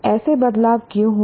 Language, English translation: Hindi, Why did such changes occur